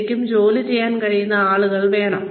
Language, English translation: Malayalam, People, need people, who can really work